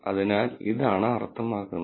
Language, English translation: Malayalam, So, that is what this means